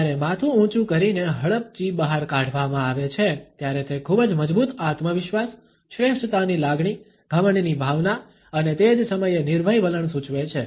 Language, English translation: Gujarati, When the head is lifted high with the chin jetted out then it suggest a very strong self confidence, a feeling of superiority, a sense of arrogance even and at the same time a fearless attitude